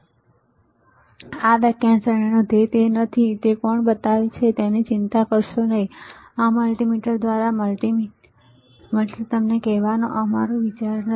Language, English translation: Gujarati, That is not the goal of this lecture series; so, do not worry about who manufactures it; that is not our idea of telling you by this multimeter by that multimeter